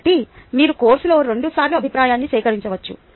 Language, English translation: Telugu, so you can collect the feedback twice in the course